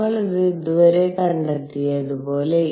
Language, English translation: Malayalam, As we have found this so far